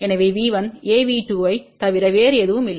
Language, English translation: Tamil, So, V 1 is nothing but A V 2